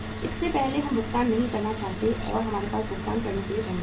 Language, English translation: Hindi, Before that we do not want to make the payment and we do not have the funds to pay